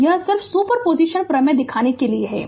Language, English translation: Hindi, So, it is just to show you the super position theorem